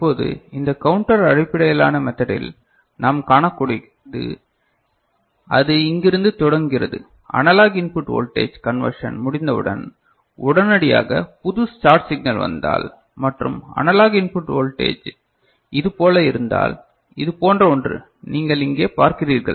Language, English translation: Tamil, Now, in this counter based method, what we can see, that it is starting from here, if the new start signal comes immediately after one conversion of the analog input voltage and the analog input voltage is something like this the one you that you see over here right